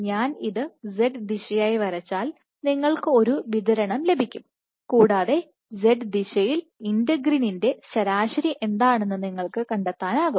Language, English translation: Malayalam, So, what you can get is So, if I were to draw this as a z direction you would get a distribution, and you can find out what is the z average of integrin